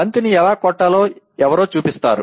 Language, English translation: Telugu, Somebody shows how to hit a ball